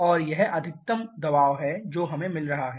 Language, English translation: Hindi, And this is the maximum pressure that we are getting